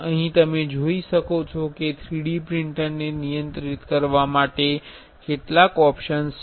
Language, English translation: Gujarati, Here you can see if there are some there are some options to control the 3D printer